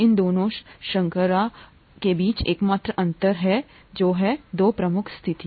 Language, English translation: Hindi, The only difference between these two sugars is the two prime position